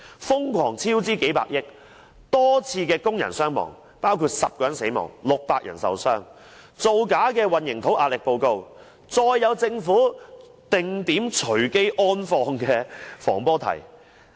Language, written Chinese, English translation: Cantonese, 瘋狂超支幾百億、多宗工人傷亡事故，包括10人死亡、600人受傷、造假的混凝土壓力測試報告、政府"定點隨機安放"的防坡堤。, The bridge project has been plagued by crazy budget overruns of several tens of billions numerous labour casualties including 10 deaths and 600 injuries falsified concrete cube tests reports random placement of slabs of the breakwater